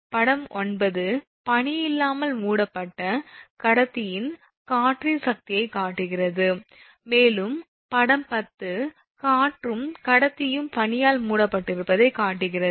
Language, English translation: Tamil, So, figure 9 actually shows the force of wind on conductor covered without ice, and figure 10 it shows that your wind and conductor covered with ice right